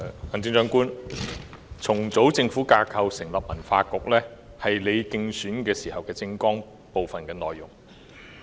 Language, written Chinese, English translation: Cantonese, 行政長官，重組政府架構以成立文化局，是你的競選政綱的內容之一。, Chief Executive restructuring the Government to set up a Culture Bureau is one of the initiatives in your election manifesto